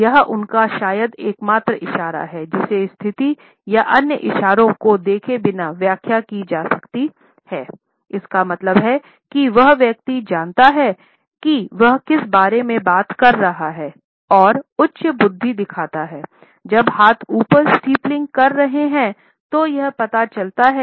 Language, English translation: Hindi, This is probably the only gesture that can be interpreted without looking at the situation or other gestures, it means that the person knows what he is talking about and it shows high intellect